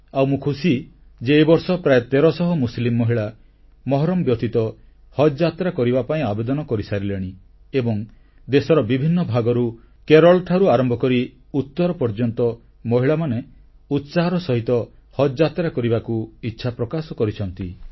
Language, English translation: Odia, Today, Muslim women can perform Haj without 'mahram' or male Guardian and I am happy to note that this time about thirteen hundred Muslim women have applied to perform Haj without 'mahram' and women from different parts of the country from Kerala to North India, have expressed their wish to go for the Haj pilgrimage